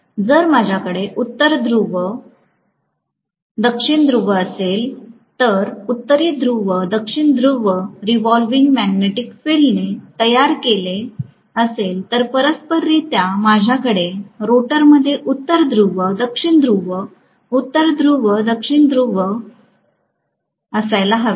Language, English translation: Marathi, If I have North Pole South Pole, North Pole South Pole created by the revolving magnetic field, correspondingly, I should have North Pole South Pole, North Pole South Pole in the rotor